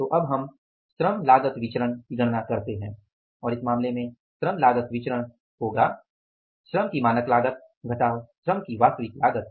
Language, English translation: Hindi, So, now let us calculate the LCB, labor cost variance, labor cost variance and in this case labor cost variance is standard cost of labor minus actual cost of labor